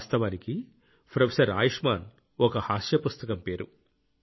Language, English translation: Telugu, Actually Professor Ayushman is the name of a comic book